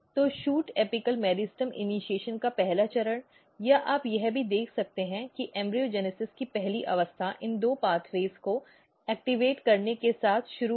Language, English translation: Hindi, So, the first step of shoot apical meristem initiation or you can see even the first state of embryogenesis begins with this activating these two pathways